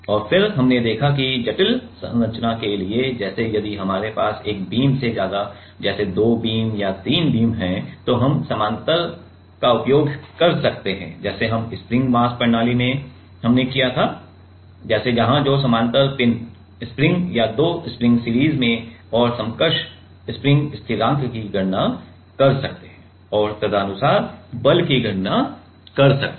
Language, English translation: Hindi, And, then we have also seen that for complicated structures like, if we have more than one beam like two beams or three beams then we can use the parallel like we can use the spring mass system like where two parallel spring or two springs in series and can calculate the equivalent spring constant and can accordingly calculate the force right